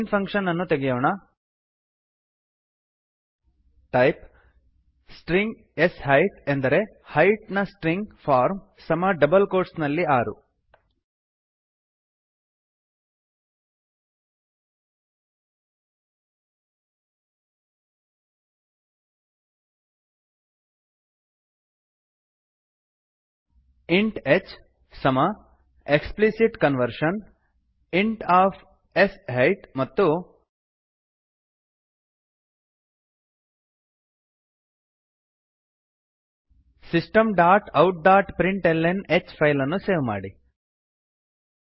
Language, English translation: Kannada, Clean up the main function type String sHeight string form of Height equal to in double quotes 6 int h equal to explicit conversion int of sHeight and System dot out dot println h Save the file